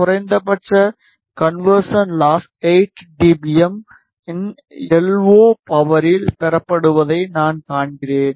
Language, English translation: Tamil, I see that the minimum conversion loss is obtained at a LO power of 8 dBm